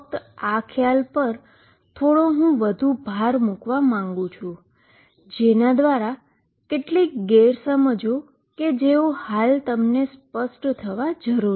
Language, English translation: Gujarati, Just dwelling on this concept little more I want to emphasize that their some misconceptions that should be cleared right away